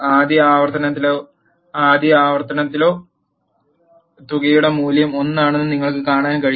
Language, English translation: Malayalam, You can see that in the first iter or a first iteration the value of sum is 1